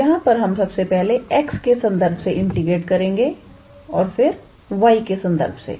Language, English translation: Hindi, So, here we first integrated with respect to x and then we integrated with respect to y